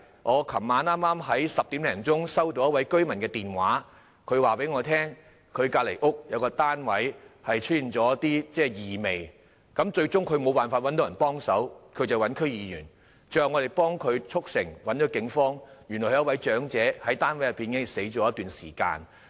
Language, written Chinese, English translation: Cantonese, 我昨晚10時左右接到一位居民的來電，他告訴我，他家附近一個單位發出異味，他找不到人幫忙，便聯絡區議員，最後我們幫他聯絡警方，發現原來有一位長者已在單位內死去一段時間。, Around 10 oclock last night I received a call from a resident who told me that some strange smell was coming out from a flat near his home . He could not find anyone to help so he contacted me as an DC member . Eventually we helped him contact the Police